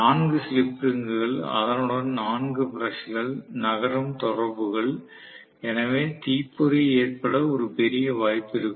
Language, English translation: Tamil, So, 4 slip rings, 4 brushes along with that, you know moving contact, there can be a huge opportunity for sparking